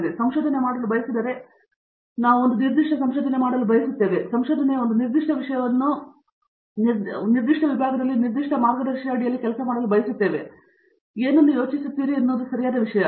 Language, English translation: Kannada, So, if we want to do research and we want to do a particular kind of research, we want to do a particular topic of research, we want to work at the particular guide in a particular department, discipline, whatever it is, just do what you think is a right thing